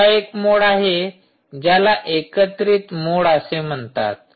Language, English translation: Marathi, another mode is there, which is called the aggregated mode